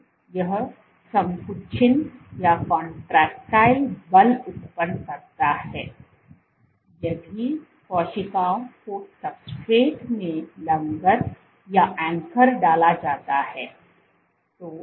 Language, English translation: Hindi, So, this generates contraction contractile forces, forces if cell is anchored to the substrate